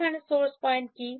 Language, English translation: Bengali, Here what is the source point